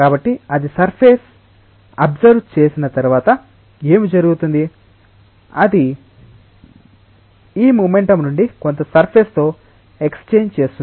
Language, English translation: Telugu, So, once it is absorbed on the surface then what will happen that it will exchange some of this momentum with the surface